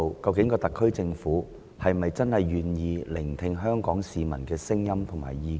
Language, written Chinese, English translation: Cantonese, 究竟特區政府是否願意聆聽香港市民的聲音和意見呢？, Is the SAR Government willing to listen to the voices and views of Hong Kong people?